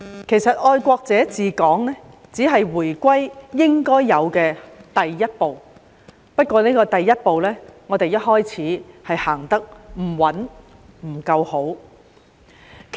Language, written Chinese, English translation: Cantonese, 其實"愛國者治港"只是回歸應有的第一步，但我們一開始時行出的第一步，行得不穩、行得不夠好。, Actually patriots administering Hong Kong is only the supposed first step after the return of Hong Kong to the Motherland . But we stumbled at the first step and did not do good enough